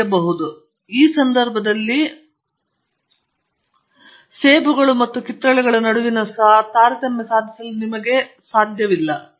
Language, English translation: Kannada, So, I think it’s important that you be able to discriminate between in this case apples and oranges